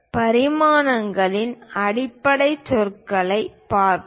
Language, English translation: Tamil, Let us look at basic terminology of dimensions